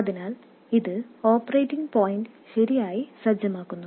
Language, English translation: Malayalam, So, this sets the operating point correctly